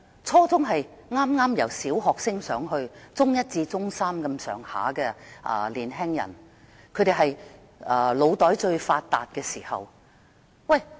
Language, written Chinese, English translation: Cantonese, 初中學生是剛由小學升上中學，就讀中一至中三的年輕人，正處於腦袋最發達的時期。, Junior secondary students are those who have just completed primary education and are now studying in Secondary One to Secondary Three which is a prime time of mental development